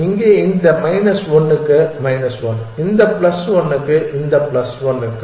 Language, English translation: Tamil, So, this is also plus 1 in this case it is plus 1 for this plus 1 for this plus 1 for this plus 1 for this